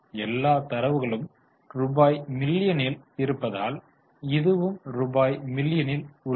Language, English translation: Tamil, Since all the data is in rupees million, this is also in rupees million